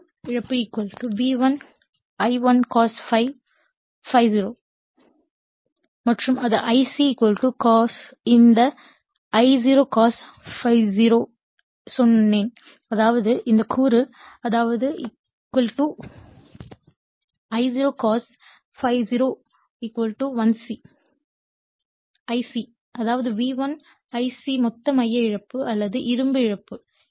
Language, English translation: Tamil, = iron loss = V1 I0 cos ∅0 right and this and the I told you this I0 cos ∅0 that is I c actually = I0 cos ∅0; that means, this component; that means, the I0 cos ∅0 actually = your I c; that means, V1 * I c that is your total core loss or iron loss right